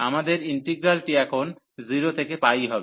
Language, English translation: Bengali, So, our integral is now 0 to pi